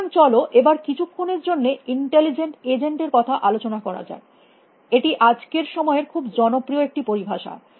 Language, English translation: Bengali, So, let us talk about intelligence agents for a moment; it is a very popular term nowadays